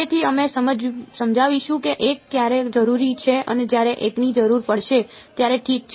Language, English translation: Gujarati, So, we I will explain when 1 is needed and when one when the other is needed ok